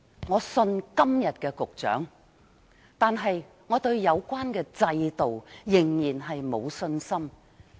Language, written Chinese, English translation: Cantonese, 我相信今天的局長，但我對有關制度仍然沒有信心。, Although I have faith in the Secretary today I still lack confidence in the relevant system